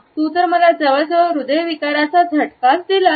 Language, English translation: Marathi, Oh my god you almost gave me a heart attack